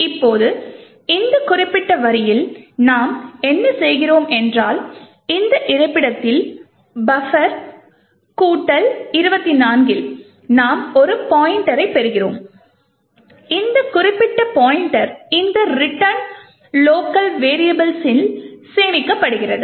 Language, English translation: Tamil, Now, what we do in this particular line over here is that at this location buffer plus 24 we obtain a pointer and this particular pointer is stored in this local variable return